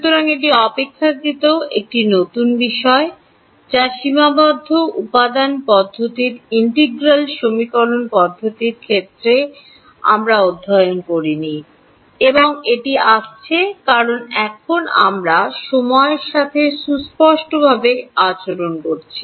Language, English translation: Bengali, So, this is relatively a new thing which we did not study in the case of integral equation methods of finite element methods, and that is coming because now, we are dealing with time explicitly